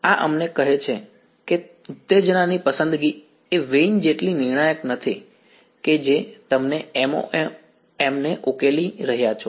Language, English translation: Gujarati, So, this tells us that the choice of excitation is not so crucial as the vein which you are solving MoM